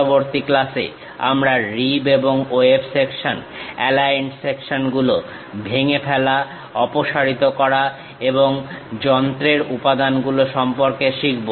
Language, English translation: Bengali, In the next class we will learn about rib and web sections, aligned sections, broken out, removed and machine elements